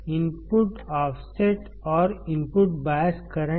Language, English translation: Hindi, What is input bias current